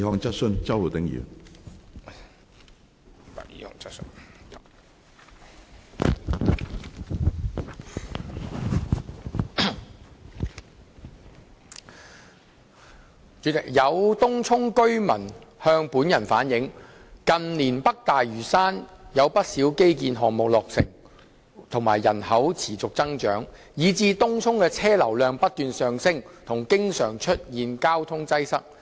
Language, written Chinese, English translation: Cantonese, 主席，有東涌居民向本人反映，近年北大嶼山有不少基建項目落成和人口持續增長，以致東涌的車流量不斷上升和經常出現交通擠塞。, President some residents of Tung Chung have relayed to me that due to the completion of quite a number of infrastructure projects and the continuous population growth in North Lantau in recent years the vehicular flow of Tung Chung has risen continuously and there have been frequent traffic congestions